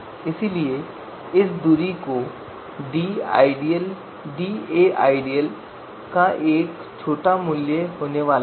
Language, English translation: Hindi, So you know because of this da ideal is going to be you know smaller value